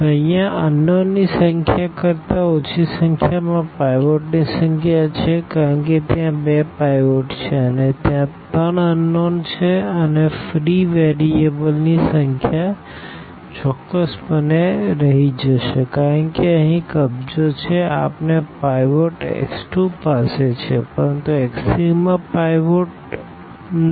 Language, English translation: Gujarati, So, here the number of pivots in a less than is equal to number of unknowns because there are two pivots and there are three unknowns and the number of free variables will be precisely the left one because this is occupied here we have pivot x 2 has a pivot, but x 3 does not have a pivot